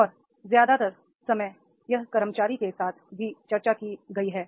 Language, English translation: Hindi, And most of the time it has been discussed with the employee also